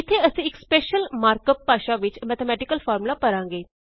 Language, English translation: Punjabi, Here we can type the mathematical formulae in a special markup language